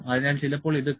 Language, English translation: Malayalam, So, sometime it is said as Q